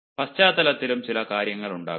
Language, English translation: Malayalam, in the background also there may be certain things